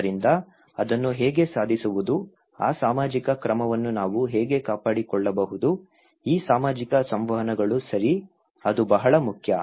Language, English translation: Kannada, So, then how to achieve that one, that how we can maintain that social order, these social interactions okay, that is very important